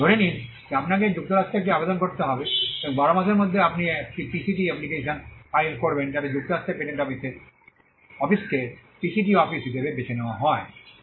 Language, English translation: Bengali, Assume that you have to file an application in the United States, and within 12 months you file a PCT application choosing United States patent office as the PCT office